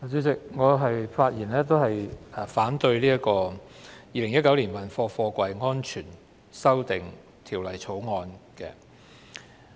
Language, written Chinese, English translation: Cantonese, 主席，我發言反對《2019年運貨貨櫃條例草案》。, President I will speak against the Freight Containers Safety Amendment Bill 2019 the Bill